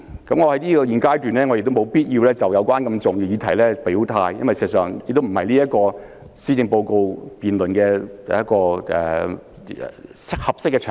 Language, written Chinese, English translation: Cantonese, 在現階段，我亦沒有必要就如此重要的議題表態，因為事實上，施政報告議案辯論不是一個合適的場合。, At this stage it is unnecessary for me to state my stance on this very important subject because the policy debate is actually not a suitable occasion